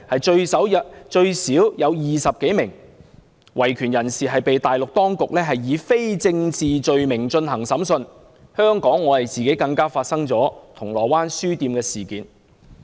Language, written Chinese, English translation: Cantonese, 最少有20多名維權人士被大陸當局以非政治罪名進行審訊，本港更發生銅鑼灣書店事件。, At least 20 human rights activists have been brought to trial under non - political charges by the Mainland authorities and in Hong Kong there was the Causeway Bay bookstore incident